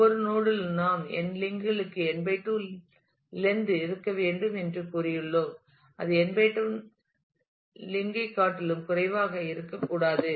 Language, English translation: Tamil, We have said every node we will have to have n/2 lengths to n links it cannot be less than that less than n / 2 link